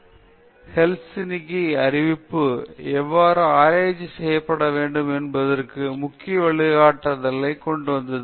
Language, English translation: Tamil, Then, the declaration of Helsinki which has come up with some of the very important guidelines of how research needs to be performed